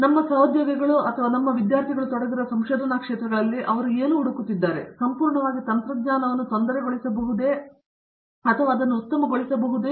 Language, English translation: Kannada, So, what they are looking for in our colleagues and the research areas which our students are engaged in, is they can see if they can completely disturb the technology, they can come to probably new